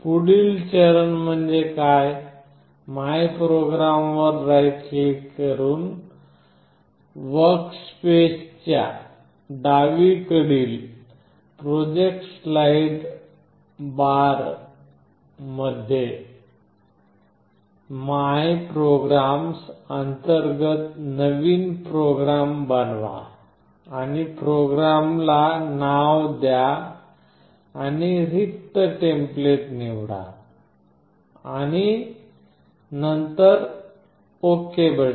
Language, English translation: Marathi, Next step is to create a new program under ‘my programs’ in the project slide bar to the left of the workspace by right clicking on MyPrograms, then you create a new one and name the program and choose an empty template and then you press ok